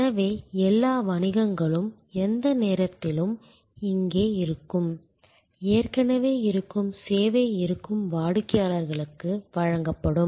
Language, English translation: Tamil, So, all businesses are here at any point of time, existing service being offer to existing customers